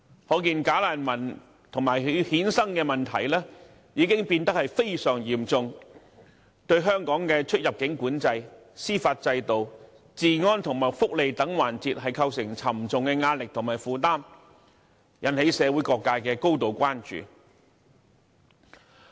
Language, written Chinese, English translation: Cantonese, 可見"假難民"及其衍生的問題已變得非常嚴重，對香港的出入境管制、司法制度、治安和福利等環節構成沉重壓力和負擔，引起社會各界高度關注。, This demonstrates the very serious nature of the problems concerning and arising from bogus refugees which have exerted heavy pressure and burden on Hong Kongs immigration control judicial system law and order and welfare and so on arousing grave concern among different sectors of society